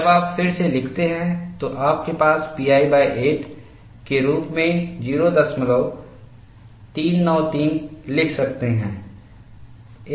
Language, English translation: Hindi, When you rewrite, you can write this as pi by 8 as 0